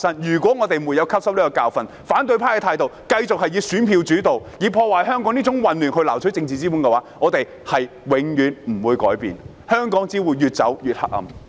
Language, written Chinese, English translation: Cantonese, 如果我們沒有汲取這個教訓，反對派繼續以選票作主導，以破壞香港、製造混亂來撈取政治資本，我們便永遠無法改變，香港只會越走越黑暗。, If we fail to draw a lesson from this the opposition camp will continue to focus on canvassing votes and gaining political capital by damaging Hong Kong and stirring up chaos . As such we will never make any changes and Hong Kongs future will be increasingly dim